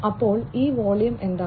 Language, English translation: Malayalam, So, what is this volume